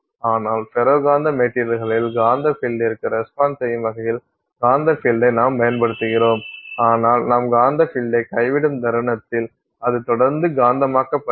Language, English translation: Tamil, But in ferro magnetic materials you apply the magnetic field, it responds to the magnetic field but the moment you drop the magnetic field it continues to stay magnetized